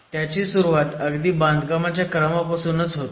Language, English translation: Marathi, The fundamental difference starts from the sequence of construction